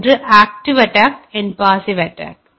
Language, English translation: Tamil, One is passive attack; another is active attack